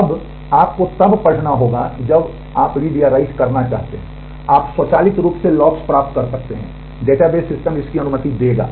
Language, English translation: Hindi, Now, you will have to when you want to do read or write, you may acquire locks automatically the database systems will allow that